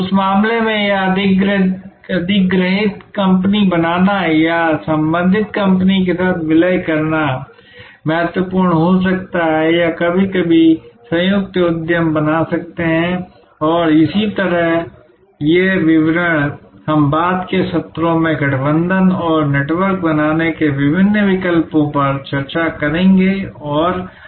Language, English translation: Hindi, In that case it may be important to create a acquired company or merge with the related company or sometimes create joint ventures and so on, these details we will discuss in later sessions this various alternatives of forming alliances and networks and so on